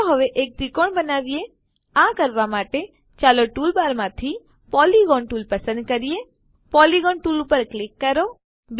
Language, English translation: Gujarati, Lets now construct a triangle to do this , Lets select the Polygon tool from the tool bar, Click on the Polygon tool